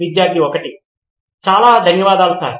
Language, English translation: Telugu, Thank you very much Sir